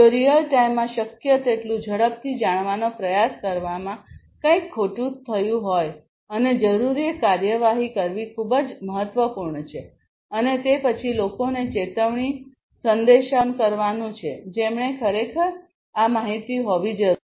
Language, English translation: Gujarati, If something has gone wrong trying to know about it as quickly as possible in real time and taking the requisite action is very important and then generating alert messages for the for the people, who actually need to have this information